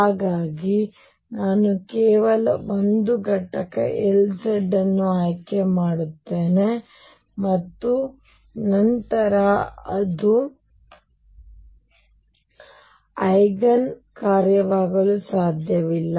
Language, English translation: Kannada, So, I choose only 1 component L z and then I cannot that cannot be the Eigen function